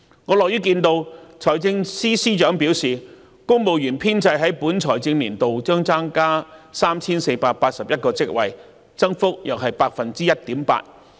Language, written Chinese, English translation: Cantonese, 我樂於看到財政司司長表示公務員編制在本財政年度將增加 3,481 個職位，增幅約 1.8%。, I am glad to hear that the Financial Secretary says that the civil service establishment will be expanded by 3 481 posts representing an increase of 1.8 % in this financial year